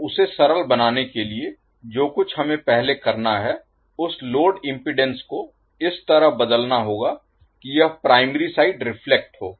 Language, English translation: Hindi, So, to simplify what we have to do first we have to convert that load impedance in such a way that it is reflected to the primary side